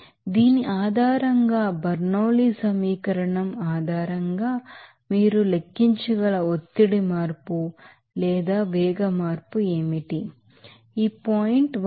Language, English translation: Telugu, So, based on this, what will be the pressure change or velocity change that you can calculate based on that Bernoulli’s equation